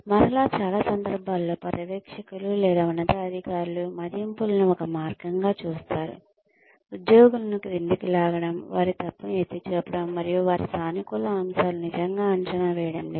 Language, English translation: Telugu, Again, in most cases, supervisors or superiors see, appraisals as a way, to pull down the employees, to point out their mistakes, and not really appraise their positive points